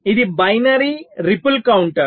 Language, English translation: Telugu, this is binary counter